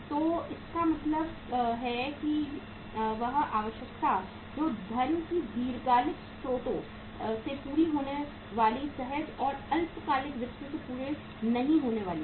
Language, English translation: Hindi, So it means the requirement which is not going to be fulfilled from the spontaneous and short term finance that will be fulfilled from the long term sources of the funds